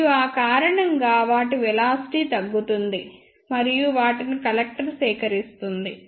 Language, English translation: Telugu, And because of that their velocity will be reduced, and they will be collected by the collector